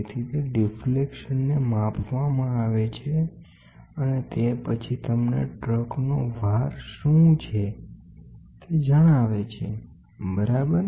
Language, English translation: Gujarati, So, those deflections are measured and then that gives you what is a load of the truck, ok